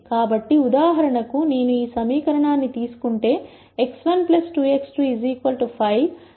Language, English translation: Telugu, So, for example, if I take this equation x 1 plus 2 x 2 equals 5